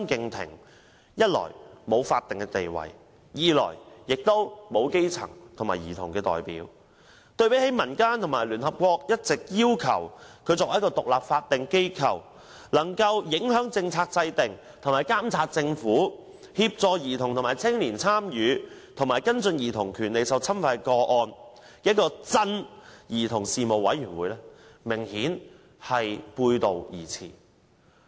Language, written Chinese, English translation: Cantonese, 兒童事務委員會一來沒有法定地位，二來又沒有基層和兒童代表，對比民間和聯合國要求委員會須為獨立法定機構、能夠影響政策制訂和監察政府、協助兒童和青年參與、跟進兒童權利受侵犯的個案，明顯背道而馳。, For one thing the Commission enjoys no statutory status; and for another it does not consist of grass - roots and children representatives . It thus runs opposite to the demand of society and the United Nations that the Commission should be an independent statutory body which can influence policy formulation monitor the Government assist children and young people in participation and follow up on cases of violation of childrens rights